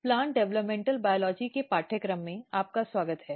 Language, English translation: Hindi, Welcome back to the course of Plant Developmental Biology